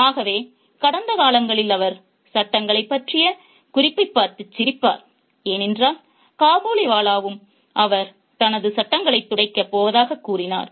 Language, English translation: Tamil, So, in the past, she used to laugh at the reference to the in laws because the Kabali Bowler also used to suggest that he is going to whack his in laws